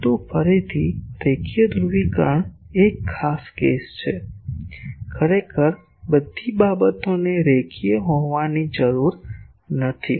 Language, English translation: Gujarati, But linear polarisation again is a special case actually all things need not be linear